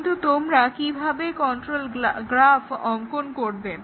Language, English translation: Bengali, But, then how do you draw the control flow graph